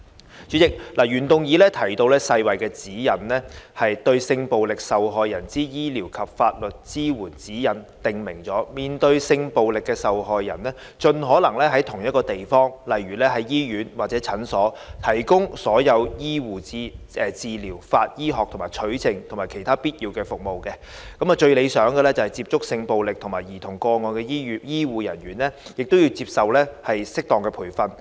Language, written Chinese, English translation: Cantonese, 代理主席，原議案提到世界衞生組織的指引，《對性暴力受害人之醫療及法律支援指引》訂明，面對性暴力的受害人，盡可能在同一個地方，例如在醫院或診所，提供所有醫護治療、法醫學的取證及其他必要的服務；最理想的是接觸性暴力受害人及受虐兒童個案的醫護人員，亦要接受適當的培訓。, Deputy President the original motion mentions the Guidelines for medico - legal care for victims of sexual violence issued by the World Health Organization WHO . The Guidelines state that sexual violence victims should as far as possible receive all medical treatment forensic examinations for collecting evidence and other necessary services in the same place such as in a hospital or clinic . It is most desirable that the health care personnel handling sexual violence and child abuse cases should have received proper training